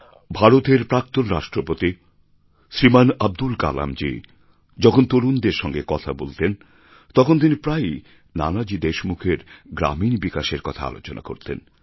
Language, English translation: Bengali, India's former President Shriman Abdul Kalamji used to speak of Nanaji's contribution in rural development while talking to the youth